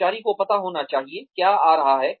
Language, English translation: Hindi, The employee should know, what is coming